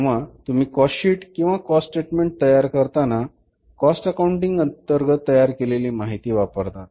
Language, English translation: Marathi, When you prepare a cost sheet, when you prepare a statement of cost, that cost sheet or the statement of the cost is prepared under the cost accounting